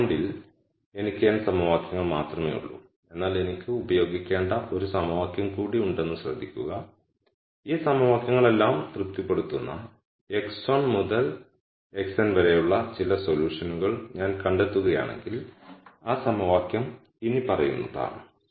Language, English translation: Malayalam, I have only n equations at this point, but notice that I have one more equation that I need to use and that equation is the following if I nd some solution x 1 to x n which satis es all of these equations